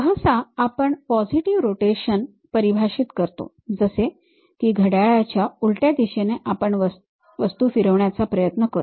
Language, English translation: Marathi, Usually we define positive rotation, something like in counterclockwise direction we will try to rotate the objects